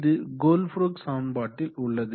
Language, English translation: Tamil, So we will use the Colebrook equation